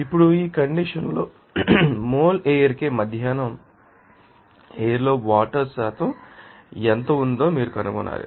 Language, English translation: Telugu, Now, at this condition you have to find out what should be the percentage of the water in the afternoon air per mole of air